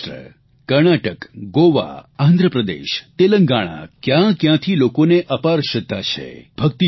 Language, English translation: Gujarati, People from Maharashtra, Karnataka, Goa, Andhra Pradesh, Telengana have deep devotion and respect for Vitthal